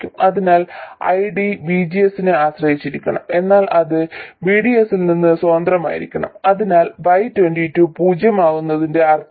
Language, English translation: Malayalam, So, ID must depend on VGS but it must be independent of VDS, that is what is the meaning of Y22 being 0